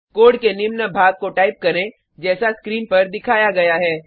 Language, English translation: Hindi, Type the following piece of code as displayed on the screen